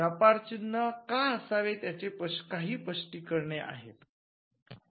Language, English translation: Marathi, Now, there are some justifications as to why we should have trademarks